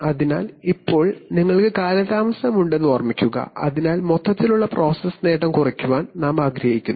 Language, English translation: Malayalam, So now, and remember that you have lag so you want to keep the overall process gain lower